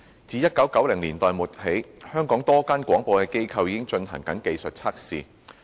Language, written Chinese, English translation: Cantonese, 自1990年代末起，香港多間廣播機構已進行技術測試。, A number of broadcasters in Hong Kong had conducted technical trials since the late 1990s